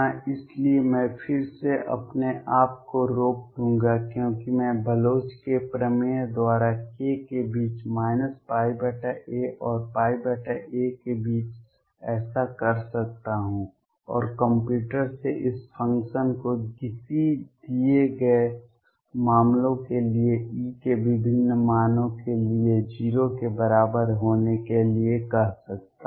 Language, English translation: Hindi, So, again I will restrict myself because I can do so by Bloch’s theorem to k between minus pi by a and pi by a and ask the computer satisfy this function to be equal to 0 for different values of E for a given cases